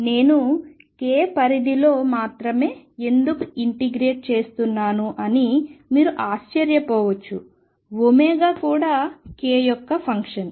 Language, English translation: Telugu, You may wonder why I am integrating only over k, it is because omega is also a function of k